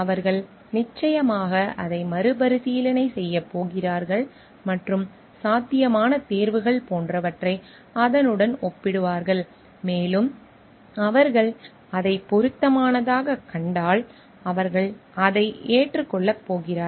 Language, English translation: Tamil, They definitely going to review it and with compare with it other possible like choices and if they find it relevant, then they are going to accept it